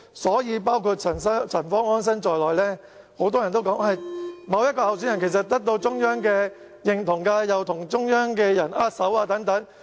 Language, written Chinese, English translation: Cantonese, 所以，很多人，包括陳方安生都說，某一候選人已得到中央認同，因為他曾與中央領導人握手。, Therefore many people including Anson CHAN said that a certain candidate had been approved by the Central Authorities because the State leaders had shaken hands with him